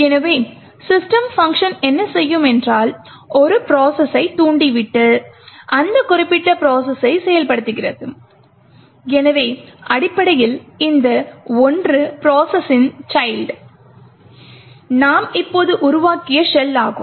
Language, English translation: Tamil, So, what the system function does is that it forks a process and then executes that particular process, so essentially the child of this one process is the shell that we have just created